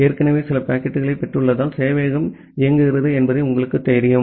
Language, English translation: Tamil, And you know that the server is running because it has already received certain packets